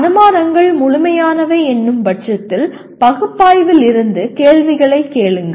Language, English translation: Tamil, And then ask questions from analysis saying that are the assumptions complete